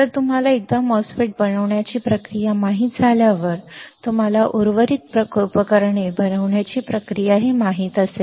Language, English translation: Marathi, So, for once you know the process to fabricate the MOSFET, you will know the process for fabricating rest of the devices all right